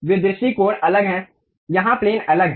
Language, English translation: Hindi, Those views are different; here planes are different